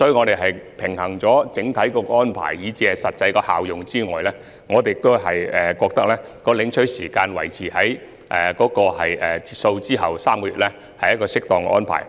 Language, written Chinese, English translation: Cantonese, 在平衡整體安排以至實際效用後，我們認為將領取補貼的時限維持在截數後3個月內，屬合適安排。, After weighing the overall arrangements and also the actual effectiveness we are of the view that it is an appropriate arrangement to maintain the deadline for subsidy collection at three months after the cut - off date